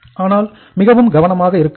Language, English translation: Tamil, So you have to be very very careful